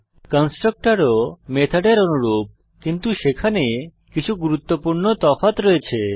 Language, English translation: Bengali, Constructors are also similar to methods but there are some important differences